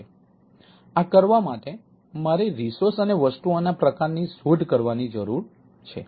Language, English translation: Gujarati, so in order to do that, i need to discover resources and type of things